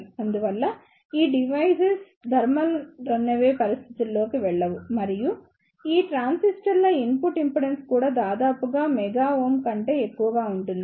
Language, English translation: Telugu, Hence, these devices do not go into the thermal runaway situation and the input impedance of these transistors are also high of the order or mega ohm